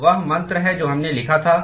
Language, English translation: Hindi, So, that is the mantra that we wrote